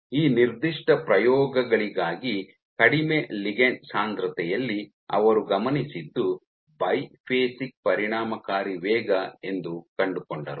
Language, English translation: Kannada, So, for these particular experiments the authors found that in ligand density low what they observed was a biphasic speed effective speed